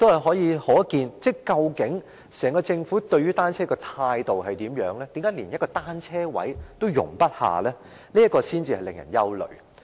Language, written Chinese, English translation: Cantonese, 由此可見，整個政府對單車採取甚麼態度，何以竟然連一個單車車位也容不下，這點才令人憂慮。, This speaks volumes about the attitude adopted by the Government towards bicycles . It is worrying that not even one bicycle parking space is provided